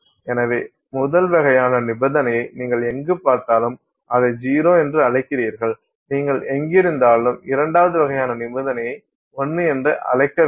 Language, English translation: Tamil, So, wherever you see the first kind of condition you call it a 0, wherever you find the second kind of condition, you call it 1